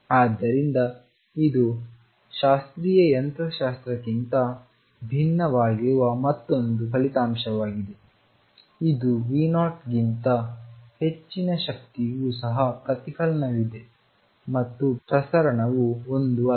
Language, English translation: Kannada, So, this is another result which is different from classical mechanics even for energy greater than V naught there is reflection and transmission is not one